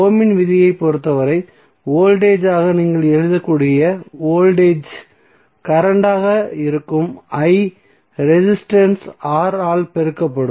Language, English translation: Tamil, So as for Ohm’s law what you can write for voltage, voltage would be current I and multiplied by resistance R